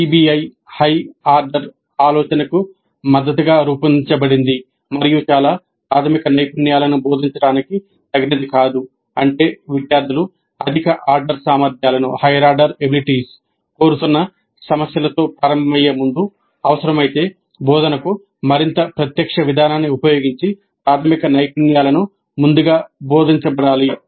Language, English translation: Telugu, PBI is designed to support higher order thinking and is not appropriate for teaching very basic skills which means that before the students start with problems demanding higher order abilities the basic skills that are required must have been taught earlier if necessary using more direct approach to instruction